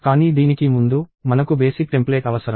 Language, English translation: Telugu, But before that, we need the basic template